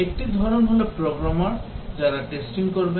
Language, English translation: Bengali, One is the Programmers, they do testing